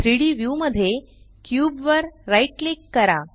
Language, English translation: Marathi, Right click the cube in the 3D view